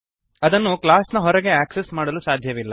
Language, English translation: Kannada, It cannot be accessed outside the class